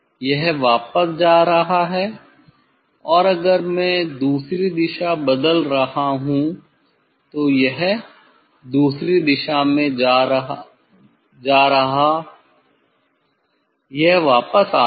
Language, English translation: Hindi, it is going back and if I change the other direction, it is going other direction it is coming back